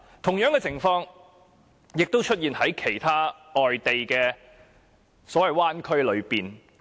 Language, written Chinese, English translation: Cantonese, 同樣的情況也在其他灣區出現。, This is the same case with other bay areas